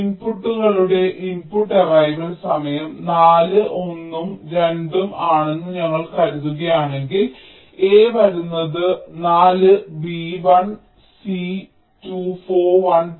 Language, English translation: Malayalam, now, if we assume that the input arrival time of the inputs are four, one and two, a is coming at four, b at one, c at two, four, one, two